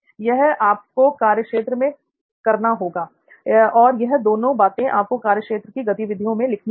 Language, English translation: Hindi, So that is something that you will have to do on the field, those are two things that you will have to note down in your field activity